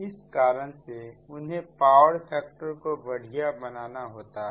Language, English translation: Hindi, thats why they have to improve the power factor right